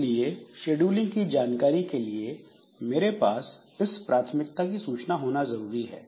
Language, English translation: Hindi, So, for the scheduling information I should have this priority available, priority information available